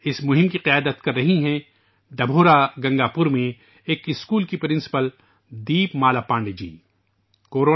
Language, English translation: Urdu, This campaign is being led by the principal of a school in Dabhaura Gangapur, Deepmala Pandey ji